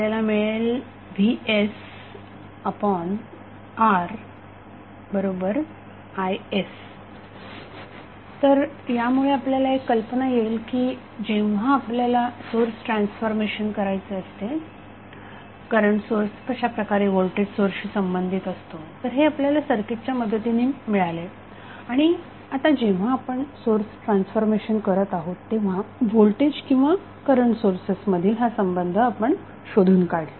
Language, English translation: Marathi, So what we get from here we get from here is nothing but Vs by R equal to is so, this will give you the idea that when you want to do the source transformation how the current source would be related to voltage source, so this we got with the help of circuit and now we found that this is the relationship between voltage and current sources when we are doing the source transformation